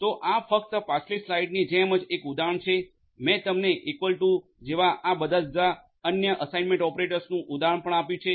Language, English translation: Gujarati, So, this is just an example likewise like the previous slides I have even given you an example of all of these different other assignment operators like the equal to etcetera